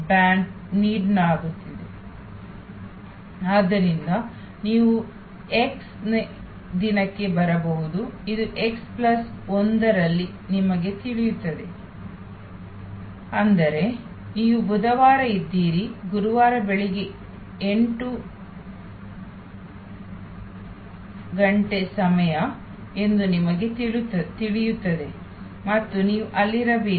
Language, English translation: Kannada, So, you may arrive at day x, you will know that in x plus 1; that means, you are on Wednesday, you will know that Thursday morning 8 AM will be the time and you should be there